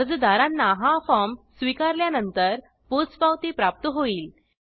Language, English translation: Marathi, Applicants will receive an acknowledgement on acceptance of this form